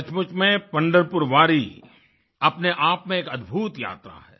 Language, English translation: Hindi, Actually, Pandharpur Wari is an amazing journey in itself